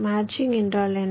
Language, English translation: Tamil, what is a matching